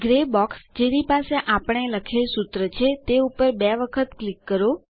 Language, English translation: Gujarati, Double click on the Gray box that has the formulae we wrote